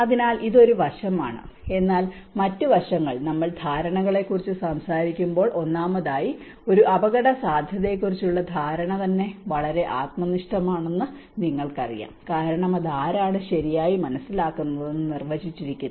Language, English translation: Malayalam, So, this is of one aspect, but other aspects is when we talk about perceptions, first of all perception of a risk itself is a very subjective you know because it also defined from who is perceiving it right